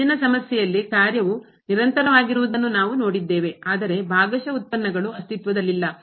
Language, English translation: Kannada, In the earlier problem, we have seen the function was continuous, but the partial derivatives do not exist